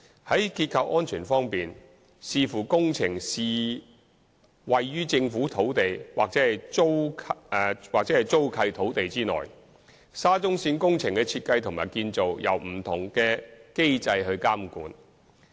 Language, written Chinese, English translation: Cantonese, 在結構安全方面，視乎工程是位於政府土地或租契土地內，沙中線工程的設計和建造由不同的機制監管。, On structural safety depending on whether the project is located within unleased land or leased land the design and construction of SCL project is governed by different mechanisms